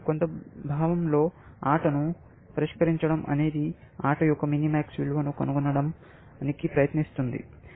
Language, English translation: Telugu, In some sense, solving a game amounts to trying to find the minimax value of the game